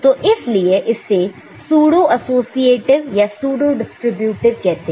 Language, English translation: Hindi, So, that is why it is called pseudo associative or pseudo distributive ok